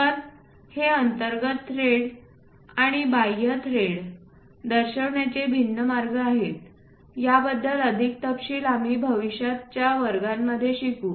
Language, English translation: Marathi, So, there are different ways of showing these internal threads and external threads, more details we will learn in the future classes about that